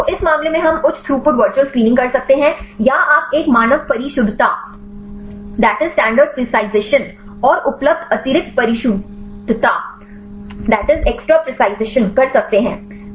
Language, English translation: Hindi, So, in this case we can do the high throughput virtual screening or you can do a standard precision and the extra precision available